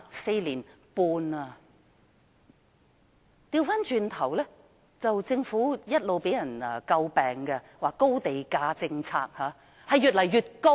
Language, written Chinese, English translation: Cantonese, 至於政府的"高地價政策"，一直被人詬病，而地價仍是越來越高。, The Governments high land price policy has all along been a subject of criticism and land prices are surging higher and higher